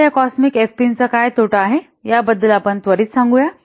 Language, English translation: Marathi, Now let's quickly see about the what disadvantages of the cosmic FPs